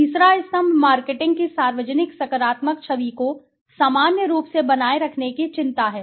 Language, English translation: Hindi, The third pillar is the concern to maintain a public positive image of the marketing in general